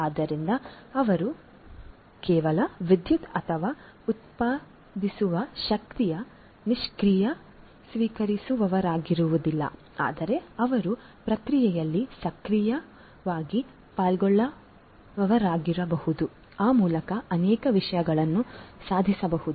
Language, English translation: Kannada, So, they cannot they will not be just the passive recipients of the electricity or the power that is generated, but they can also be an active participant in the process thereby many things can be achieved